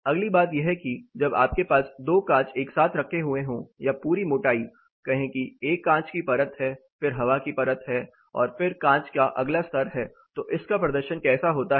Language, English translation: Hindi, The next thing is when you have 2 glasses put together or the whole thickness say there is a glass layer there is air layer and then there is a next level of glass, so what happens with this performance